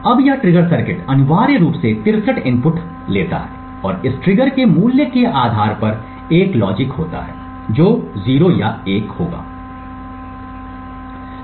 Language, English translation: Hindi, Now this trigger circuit essentially takes 63 inputs and based on the value of this trigger there is a logic which outputs either 0 or 1